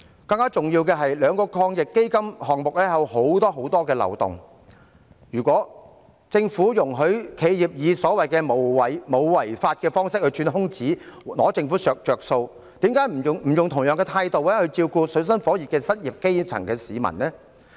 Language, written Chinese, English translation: Cantonese, 更重要的是，兩輪防疫抗疫基金的項目有很多漏洞，如果政府容許企業以所謂沒有違法的方式來鑽空子，佔政府便宜，為甚麼不能用同樣的態度來照顧正處於水深火熱的失業基層市民呢？, More importantly there are many loopholes in the items under the two rounds of AEF . If the Government allows enterprises to exploit the loopholes and make gains at the Governments expense in a way which is said to be not illegal why can it not take care of the unemployed grass roots in dire straits with the same attitude?